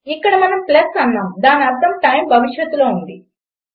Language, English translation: Telugu, Here we said plus which meant that the time is in the future